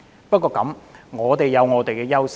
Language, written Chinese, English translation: Cantonese, 不過，香港有本身的優勢。, However Hong Kong has its own advantages